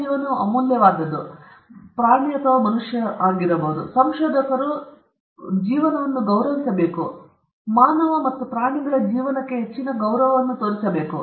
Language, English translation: Kannada, All care has to be taken, because life is precious, and it is important, and researcher should respect life, should show at most respect to human and animal life